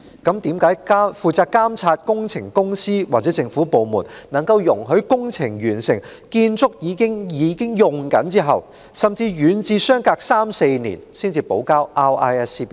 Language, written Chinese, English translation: Cantonese, 那麼，負責監察工程的公司或政府部門為何在工程完成、建築已啟用後，甚或遠至相隔三四年，容許承建商補交 RISC 表格？, Why then did the companies or government departments responsible for works monitoring allow contractors to wait―as long as three to four years―until the completion of works and the commissioning of the relevant structures to submit their RISC forms?